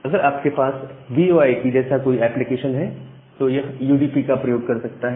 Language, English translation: Hindi, If you have some application like VoIP, that may use UDP